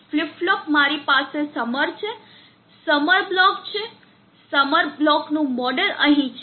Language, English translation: Gujarati, The flip flop I have the summer block the model of the summer block is here